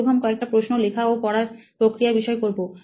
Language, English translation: Bengali, So I would like to ask a few questions related to learning and writing